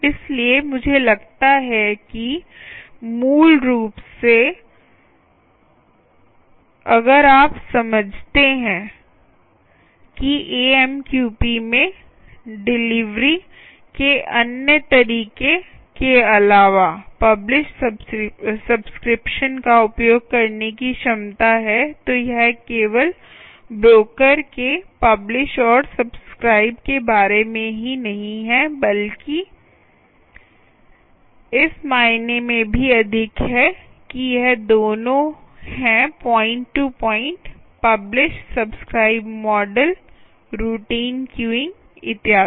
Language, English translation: Hindi, so i think, basically, if you understand that amqp is also has the ability of using publish, subscribe in addition to other methods of delivery, its not only just about broker, publish and subscribe, but its more is, is more than that, in the sense that it is both point to point, publish, subscribe, model, routine queuing and so on